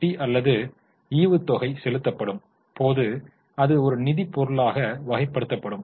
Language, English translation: Tamil, Whenever interest is paid or dividend is paid, it will be categorized as a financing item